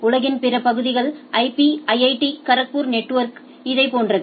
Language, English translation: Tamil, For the rest of the world the network IP IIT Kharagpur network is like this right